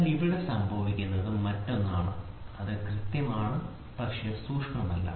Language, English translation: Malayalam, But here what happens is the other thing is it is accurate, but not precision